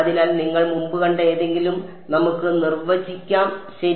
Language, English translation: Malayalam, So, let us define something which you have already seen before ok